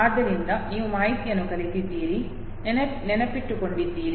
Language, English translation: Kannada, So you have learnt the information, memorized it